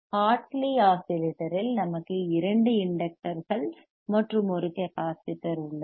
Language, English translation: Tamil, Because iIn Hartley oscillator we have two inductors; and one capacitor